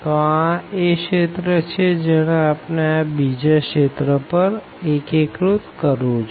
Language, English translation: Gujarati, So, this is the region which we want to integrate over this region